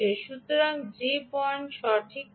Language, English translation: Bengali, so that is not the right point